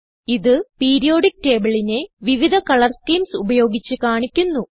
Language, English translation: Malayalam, It shows Periodic table with different Color schemes